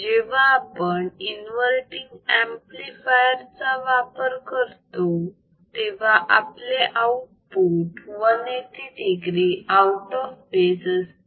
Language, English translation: Marathi, Now, if we use inverting amplifier as phase shift oscillator we had 180 degree output